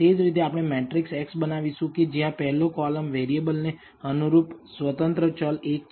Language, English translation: Gujarati, Similarly we will construct a matrix x where the first column corresponds to variable, independent variable 1